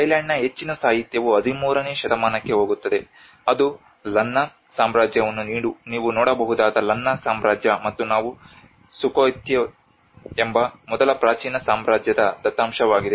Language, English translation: Kannada, Much of the literature of Thailand goes back to 13th century which we found more evident that is where the Lanna Kingdom where you can see the Lanna Kingdom and this is the data for of the first ancient kingdom which is Sukhothai